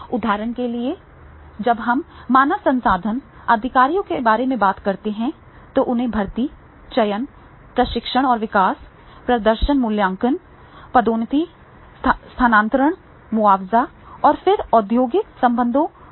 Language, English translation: Hindi, For example, when we are talking about the HR executives, then HR executives, they have to do all recruitment, selection, training and development, performance appraisal promotions, transfers, compensation and then industrial relations, all type of the tasks they are supposed to do